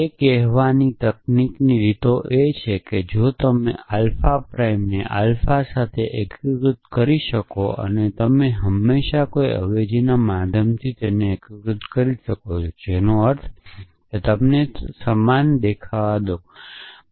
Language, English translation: Gujarati, So, the technical way of saying that is if you can unify alpha prime with alpha and you can always unify by means of a substitution, which means you make them look the same